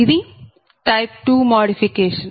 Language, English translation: Telugu, this is type two modification